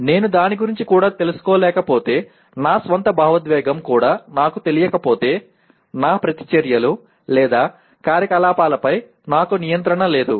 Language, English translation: Telugu, But if I am not even aware of it, if I do not even know my own emotion, I do not have control over my reactions or activities